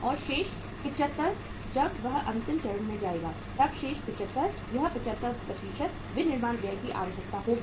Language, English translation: Hindi, And remaining 75 will be say after when it moves to the final stage then remaining 75 this 75% manufacturing expenses will be required